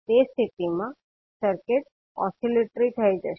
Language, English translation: Gujarati, In that case the circuit will become oscillatory